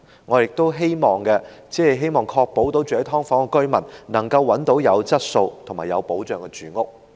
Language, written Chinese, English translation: Cantonese, 我們只是希望確保居於"劏房"的居民能夠找到有質素及有保障的住屋。, We only wish to ensure that the people living in subdivided units can have quality and secure housing